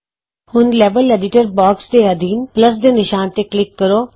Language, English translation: Punjabi, Now under the Level Editor box, click on the Plus sign